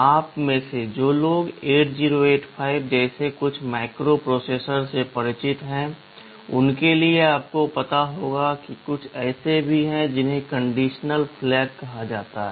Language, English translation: Hindi, For those of you who are familiar with the some microprocessors like 8085, you will know that there are something called condition flags